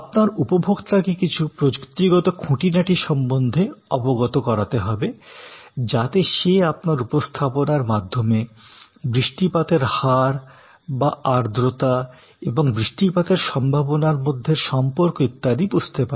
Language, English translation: Bengali, You will need to communicate to the customer certain technical aspects, so that the customer understands the by that presentation like precipitation rate or the humidity and it is relationship with possibility of rain, etc, those things you have to communicate